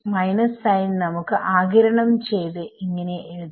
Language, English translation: Malayalam, Actually, let us just absorb the minus sign